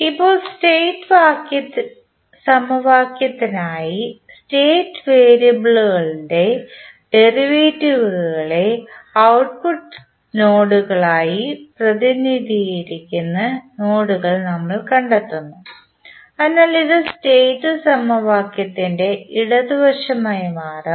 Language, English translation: Malayalam, Now, for the state equation we find the nodes that represent the derivatives of the state variables as output nodes, so this will become the left side of the state equation